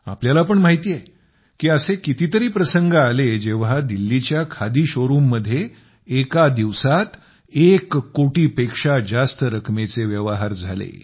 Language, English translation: Marathi, You too know that there were many such occasions when business of more than a crore rupees has been transacted in the khadi showroom in Delhi